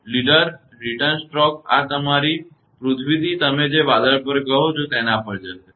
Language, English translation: Gujarati, That a leaders; return stroke will be going from this your earth to the your what you call to that cloud